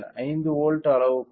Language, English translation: Tamil, So, even 5 volts scale